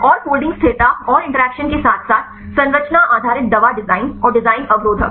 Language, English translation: Hindi, And the folding stability and interactions as well as the structure based drug design and design inhibitors